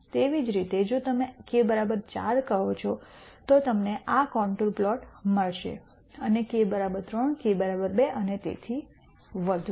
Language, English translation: Gujarati, Similarly if you say k equal to 4 you will get this contour plot and k equal to 3, k equal to 2 and so on